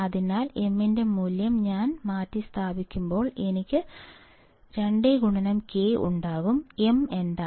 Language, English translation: Malayalam, So, when I substitute value of m, I will have 2 K; m is what